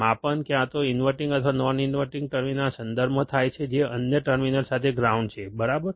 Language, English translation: Gujarati, The measurement occurs with respect to either the inverting or non inverting terminal with the other terminal that is the ground, alright